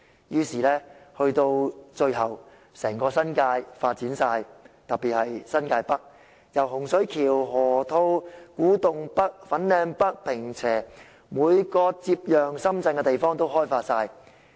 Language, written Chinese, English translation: Cantonese, 於是到了最後，整個新界都發展了，特別是新界北，洪水橋、河套地區、古洞北、粉嶺北、坪輋，每個接壤深圳的地方都被開發。, As such in the end the entire New Territories will have been developed especially New Territories North Hung Shui Kiu Lok Ma Chau Loop North Kwu Tung North Fanling and Ping Che―every place bordering Shenzhen will have been developed